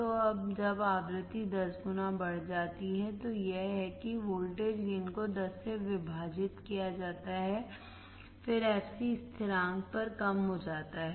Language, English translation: Hindi, So, when the frequency is increased tenfold, that is the voltage gain is divided by 10, then the fc is decreased at the constant